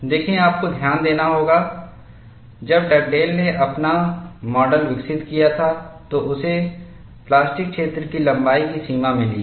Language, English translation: Hindi, See, you will have to note, when Dugdale developed his model, he has got the extent of plastic zone length